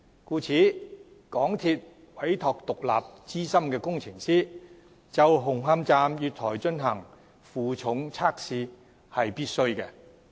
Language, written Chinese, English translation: Cantonese, 故此，港鐵公司委託獨立資深工程師就紅磡站月台進行負重測試是必須的。, Thus it is necessary for MTRCL to entrust an independent and experienced engineer to conduct a loads test at the platforms of Hung Hom Station